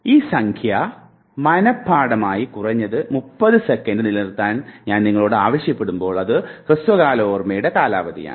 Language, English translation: Malayalam, If I ask you to memorize this number and retain it at least for 30 seconds because that is the duration of short term memory